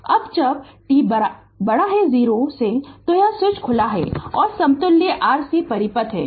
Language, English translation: Hindi, Now when t greater than 0 the switch is open and the equivalent rc circuit